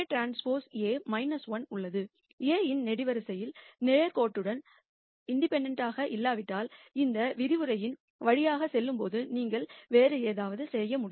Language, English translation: Tamil, If the columns of A are not linearly independent, then we have to do something else which you will see as we go through this lecture